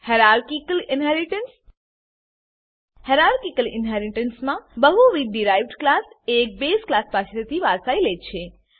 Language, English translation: Gujarati, Hierarchical Inheritance In Hierarchical Inheritance multiple derived classes inherits from one base class